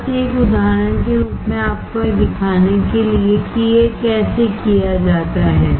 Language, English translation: Hindi, Just as an example to show you that, how this is done